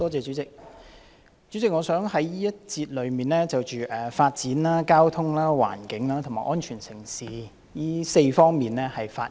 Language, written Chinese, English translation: Cantonese, 代理主席，我想在這個辯論環節中，就發展、交通、環境和安全城市4方面發言。, Deputy President in this debate session I wish to speak on four areas namely development transport environmental affairs and safe city